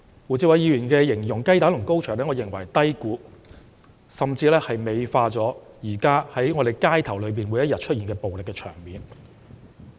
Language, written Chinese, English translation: Cantonese, 我認為胡志偉議員以雞蛋與高牆來比擬是低估、甚至美化現時每天在香港街頭上演的暴力場面。, I think Mr WU Chi - wais description of egg and high wall has underestimated and even prettified the scenes of violence that take place in the streets in Hong Kong every day